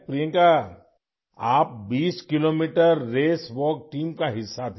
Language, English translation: Urdu, Priyanka, you were part of the 20 kilometer Race Walk Team